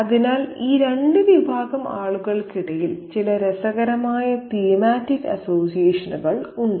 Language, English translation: Malayalam, So, there are certain interesting thematic associations between these two categories of people